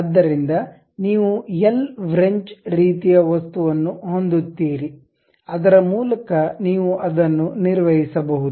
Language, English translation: Kannada, So, you will have l wrench kind of thing through which you will operate it